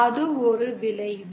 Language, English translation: Tamil, So that is one effect